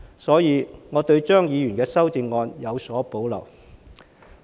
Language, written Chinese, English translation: Cantonese, 所以，我對張議員的修正案有所保留。, Therefore I have reservation about his amendment